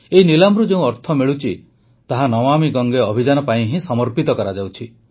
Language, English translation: Odia, The money that accrues through this Eauction is dedicated solely to the Namami Gange Campaign